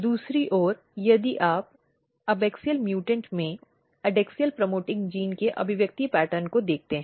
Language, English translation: Hindi, On the other hand, if you look the expression pattern of adaxial promoting gene in the abaxial mutant